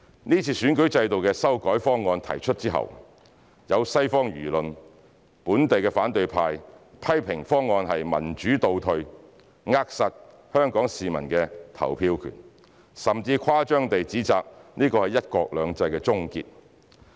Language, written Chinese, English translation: Cantonese, 這次選舉制度的修改方案提出之後，西方輿論、本地反對派批評方案是民主倒退、扼殺香港市民的投票權，甚至更誇張地指摘這是"一國兩制"的終結。, After the introduction of the proposal on revising the electoral system public opinion in the Western world and the local opposition camp have criticized it as a regressive step in democratization which will stifle the voting rights of Hong Kong people . They have even exaggeratedly condemned it as putting an end to one country two systems